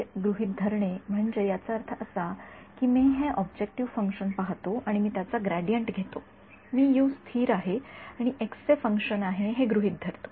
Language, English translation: Marathi, Assuming U constant means that even I look at this objective function and I take its gradient I assume U to be constant and not a function of x